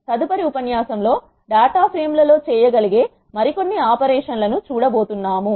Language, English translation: Telugu, In the next lecture we are going to see some other operations that can be done on data frames